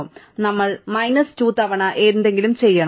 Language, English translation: Malayalam, So, we have to do something n minus 2 times